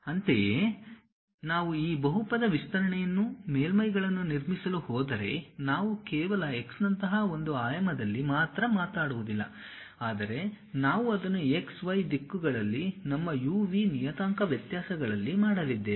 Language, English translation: Kannada, Similarly, if we are going to construct surfaces this polynomial expansion we will not only just does in one dimension like x, but we might be going to do it in x, y directions our u, v parametric variations